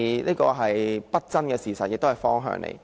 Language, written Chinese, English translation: Cantonese, 這是不爭的事實，亦是一個方向。, That is an undeniable fact and a direction